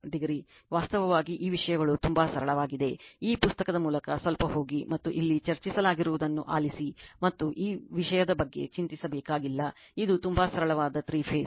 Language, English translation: Kannada, 43 degree, actually this things are very simple just little bit you go through this book and just listen what have been discussed here and nothing to be worried about this thing it seems very simple 3 phase right